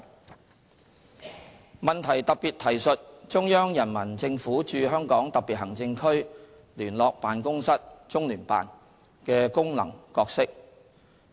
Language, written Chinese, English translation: Cantonese, 質詢特別提述中央人民政府駐香港特別行政區聯絡辦公室的功能角色。, The question specifically refers to the functions and roles of the Liaison Office of the Central Peoples Government in the Hong Kong Special Administrative Region CPGLO